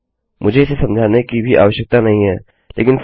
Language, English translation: Hindi, I dont even need to explain it but anyway